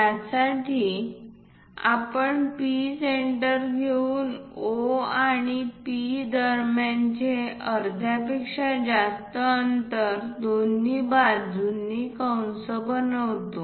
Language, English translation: Marathi, For that we pick P as centre more than the half of the distance between O and P make arcs on both the sides